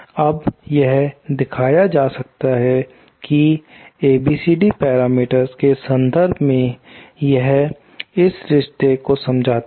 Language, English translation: Hindi, Now, this it can be shown that for in terms of the ABCD parameters, this boils down to this relationship